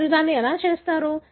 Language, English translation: Telugu, How do you do it